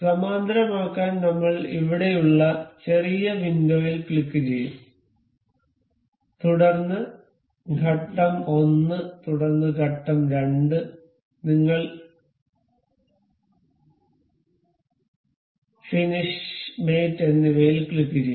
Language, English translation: Malayalam, To make this parallel we will click on the small window here, then the phase 1 and then the phase 2, we click on ok, finish mate